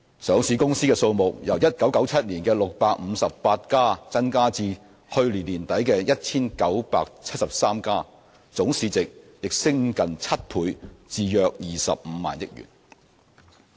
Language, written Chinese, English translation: Cantonese, 上市公司數目由1997年的658家增至去年年底的 1,973 家，總市值也升近7倍至約25萬億元。, The number of listed companies also increased from 658 in 1997 to 1 973 at the end of last year boosting the total market value by almost seven fold to about 25 trillion